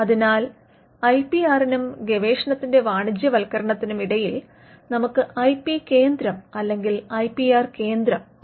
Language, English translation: Malayalam, So, between the IPR and the fact that the research can be commercialized is what you have and what we call an IP centre on an IPR centre